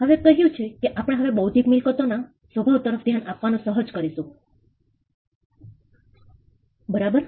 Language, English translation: Gujarati, Now, having said that now we can venture to look at the nature of intellectual property, right